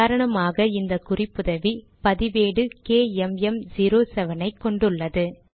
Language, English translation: Tamil, For example, I have this reference, this record has KMM07 and that appears here as well